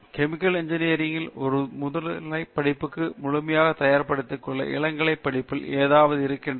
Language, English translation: Tamil, Is there something in the undergraduate study that is not know completely preparing them for a post graduate kind of study in the chemical engineering